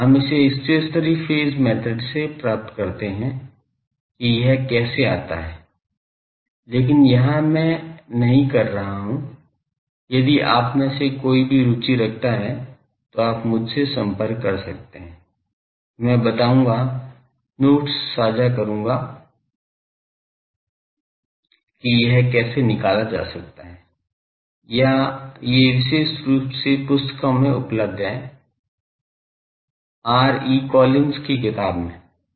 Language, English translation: Hindi, We derive this where stationary phase method that how this comes, but here I am not if any of you are interested, you can contact me, I will tell, share the notes that how can this be evaluated or these are available in books particularly R